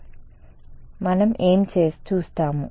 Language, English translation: Telugu, So, what we will look